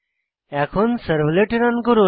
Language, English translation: Bengali, Now, let us run the servlet